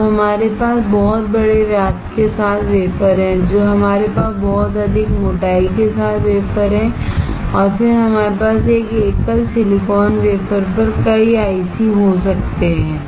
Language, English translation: Hindi, Now we have wafer with much bigger diameter, we have wafer with much more thickness and then we can have many ICs on one single silicon wafer